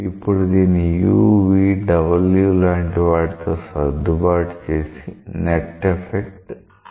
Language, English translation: Telugu, So, this has to be now adjusted with some u, v, w so that the net effect may still be 0